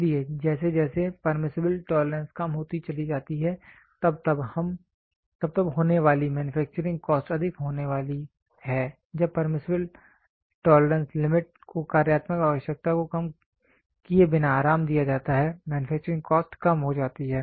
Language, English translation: Hindi, So, as the permissible tolerance goes on decreasing, as that goes on decreasing tolerance, goes on decreasing the manufacturing cost incurred is going to be higher when the permissible tolerance limit are relaxed without degrading the functional requirement, the manufacturing cost goes on decreasing